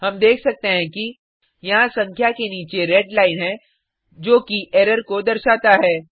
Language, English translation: Hindi, As we can see, there is a red line below the number which indicates an error